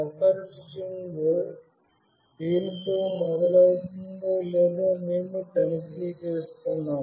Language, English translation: Telugu, And then we are checking if this buffer string starts with this or not